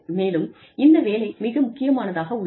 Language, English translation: Tamil, And, so this job, becomes more important